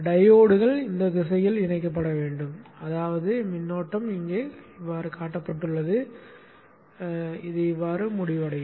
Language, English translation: Tamil, Diodes need to be connected in this fashion such that the current flow completes as shown here